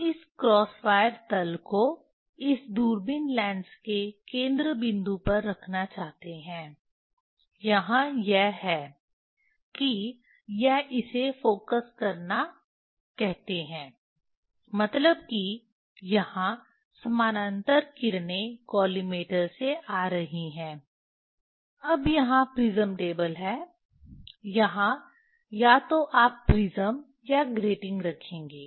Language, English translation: Hindi, we want to put that cross wire plain at the focal point of this telescope lens, Vernier that is the that is it is cause call focusing means here parallel rays are coming from the collimator, now prism table here either will put prism or the or the getting